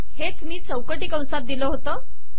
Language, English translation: Marathi, This is what I have given within the square brackets